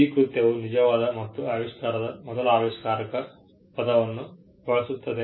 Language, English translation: Kannada, The act uses the word true and first inventor of the invention